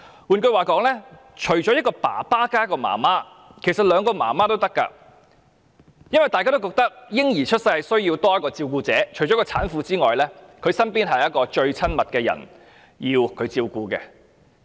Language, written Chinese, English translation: Cantonese, 換言之，除了一名父親加一名母親外，其實是兩名母親也可以，因為大家也認為嬰兒出世後需要有多一位照顧者，而產婦也需要她身邊最親密的人照顧。, In other words apart from the combination of a father and a mother parents can be two mothers . People think that after a baby is born he will need one more carer and the mother after giving birth also needs the care of her most intimate partner